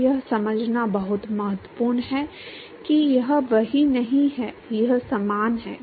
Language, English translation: Hindi, So, it is very important to understand this it is not same it is similar